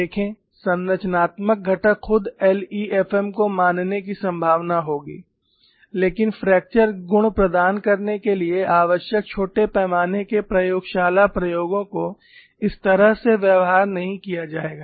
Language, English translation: Hindi, See the structural component itself would likely to obey LEFM but, the small scale laboratory experiments needed to provide the fracture properties, would not behave in such a fashion